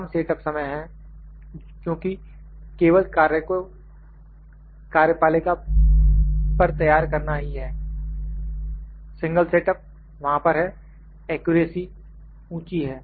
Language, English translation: Hindi, Reduced set up time is there, just because the only work to be set on the work table, with single setup is there, accuracy is high